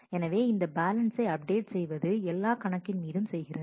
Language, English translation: Tamil, So, it performs this balance update on each of the accounts